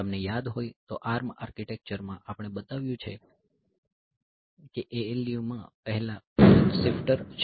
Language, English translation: Gujarati, So, you remember that in the ARM architecture we have shown that or before the ALU there is a barrel shifter